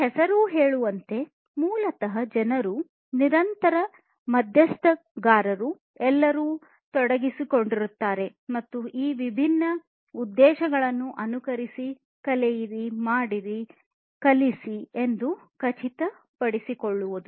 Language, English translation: Kannada, And as this name says it basically to ensure that people, the constant stakeholders are all engaged, and they should follow these different objectives learn, do, teach